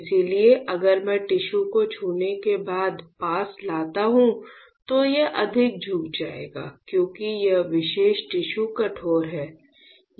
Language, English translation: Hindi, So, if I just bring the tissue close by when it is touches the tissue it will bend more because this particular tissue is stiffer